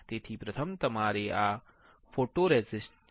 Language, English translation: Gujarati, So, first is your photoresist